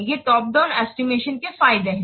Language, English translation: Hindi, These are the advantages of top down estimation